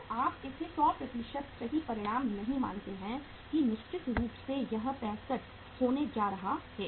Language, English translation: Hindi, So you do not consider it as a 100% true results that the certainly it is going to be 65